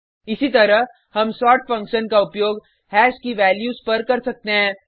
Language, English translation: Hindi, Similarly, we can use the sort function on values of hash